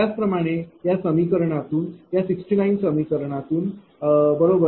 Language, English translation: Marathi, Similarly, from equation your this from equation 69, right